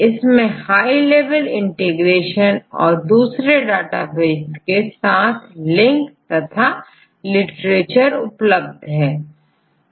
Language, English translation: Hindi, They have a high level of integration as well as the links with all other databases in the literature